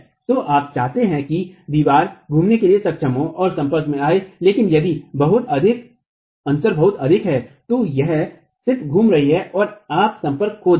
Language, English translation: Hindi, So, you want the wall to be able to rotate and come into contact, but if the gap is too much, it's just going to rotate and you will lose contact